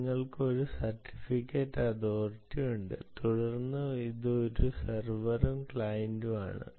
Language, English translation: Malayalam, you have a certificate authority, and then this is a server and the client